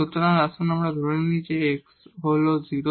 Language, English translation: Bengali, So, let us assume that x is 0